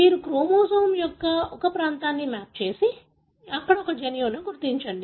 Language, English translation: Telugu, You map a region of the chromosome and identify a gene there